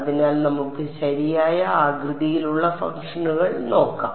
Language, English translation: Malayalam, So, let us look at the kind of shape functions that we have ok